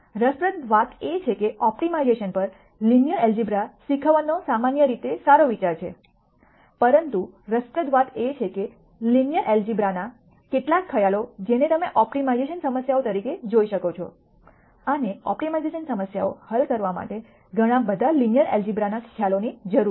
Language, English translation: Gujarati, Interestingly it is generally a good idea to teach linear algebra on optimization, but interestingly, some of the linear algebra concepts you can view as optimization problems and solving optimization problems requires lots of linear algebra concepts